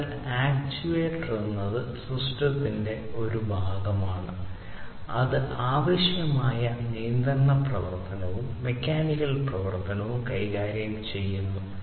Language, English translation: Malayalam, So, an actuator is a part of the system that deals with the control action that is required, the mechanical action